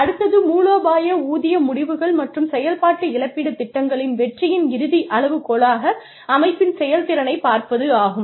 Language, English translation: Tamil, The next one is, viewing the organization's performance, as the ultimate criterion of success of strategic pay decisions and operational compensation programs